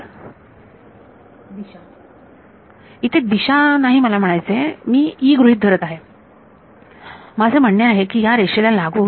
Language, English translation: Marathi, There is no direction I mean I am assuming E I mean it is along a line